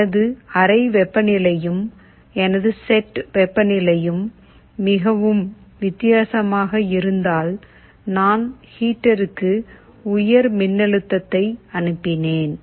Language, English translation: Tamil, If I see my room temperature and my set temperature is quite different, I sent a high voltage to the heater